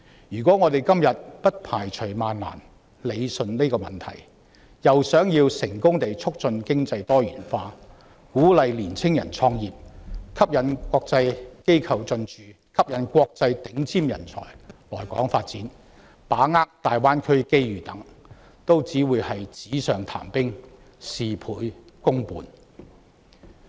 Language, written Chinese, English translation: Cantonese, 如果我們今天不排除萬難解決這個問題，卻又想要促進經濟多元化、鼓勵青年人創業、吸引國際機構進駐、吸引國際頂尖人才來港發展、把握大灣區機遇等，也只是紙上談兵，事倍功半。, If we do not solve this problem against all odds today but still wish to promote economic diversification encourage young people to start their own businesses attract international organizations to Hong Kong attract international top talent to Hong Kong capitalize on the opportunities brought by the Greater Bay Area development etc then all such wishes will remain empty talk and we will only gain half the result with double the effort